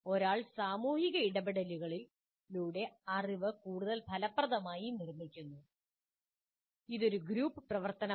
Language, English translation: Malayalam, One constructs knowledge more effectively through social interactions and that is a group activity